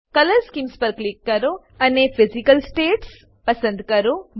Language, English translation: Gujarati, Click on Color Schemes and select Physical states